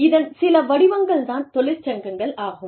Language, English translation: Tamil, Some forms of organized labor are unions